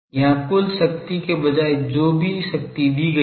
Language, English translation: Hindi, Here instead of total power whatever power has been given